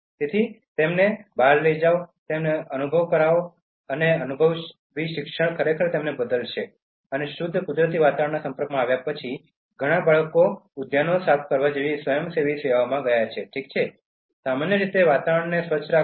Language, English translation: Gujarati, So, take them outdoor, make them experience and that experiential learning will actually change them and many children after getting exposed to pure natural environment have gone into volunteering services such as cleaning the parks, okay, keeping the environment clean in general